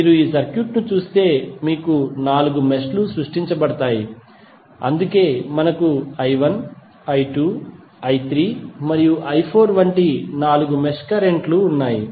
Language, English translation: Telugu, If you see this circuit you will have four meshes created, so that is why we have four mesh currents like i 1, i 2, i 3 and i 4